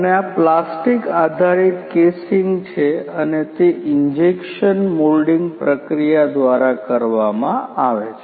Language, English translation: Gujarati, And this is a plastic based casing and through injection moulding process